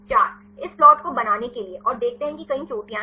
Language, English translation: Hindi, Again to make this plot and see there are several peaks